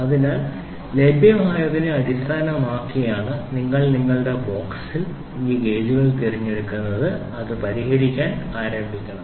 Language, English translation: Malayalam, So, that you are based upon what is available in your box you have to pick these gauges and then start solving it